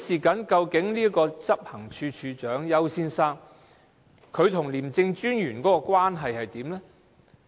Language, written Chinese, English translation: Cantonese, 究竟執行處首長丘先生跟廉政專員的關係是怎樣的呢？, How was the relationship between Mr YAU and the ICAC Commissioner?